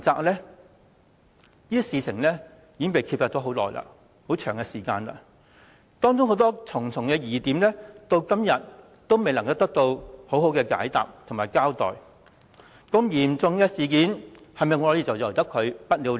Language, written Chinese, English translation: Cantonese, 這事已被揭發一段長時間，當中重重疑點至今仍未得到滿意解答和交代，如此嚴重的事件是否便任由它不了了之？, Although this incident was exposed a long period of time ago the many inconsistencies therein have yet to be resolved and accounted for satisfactorily . Should such a serious incident be left unsettled?